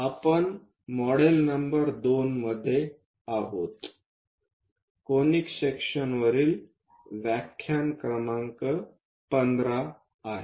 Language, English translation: Marathi, We are in module number 2, lecture number 15 on Conic Sections